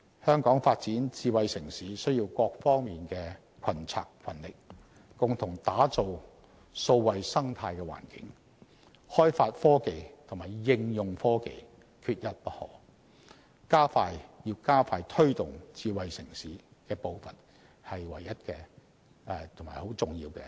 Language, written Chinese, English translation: Cantonese, 香港發展智慧城市需要各方面群策群力，共同打造數位生態環境，開發科技及應用科技，這是加快推動智慧城市發展步伐的唯一及很重要的先決條件。, Smart city development in Hong Kong requires the concerted efforts of all to forge together a digital ecosystem for the development and application of technologies . Such is the single most important prerequisite for speeding up the pace of promoting smart city development